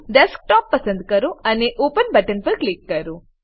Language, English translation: Gujarati, Select Desktop and click on Open button